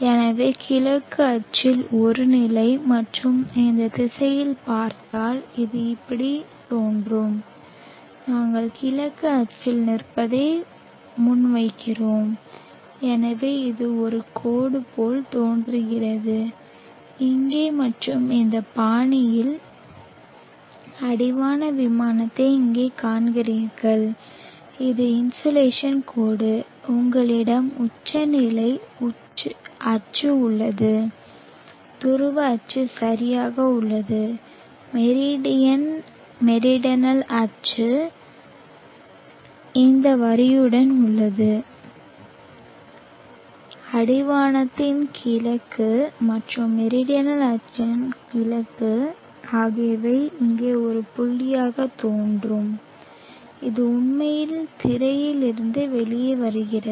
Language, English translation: Tamil, So if one positions on the east axis and looks in this direction so it will appear as though like this and we are positing standing on the east axis so it looks like a line, here and you see the horizon plane in this fashion here and this is the insulation line you have the zenith axis the polar axis is right up the meridian meridional axis is along this line, the east of the horizon and the east of the meridional axis will appear like a point here it is in that turning out of the screen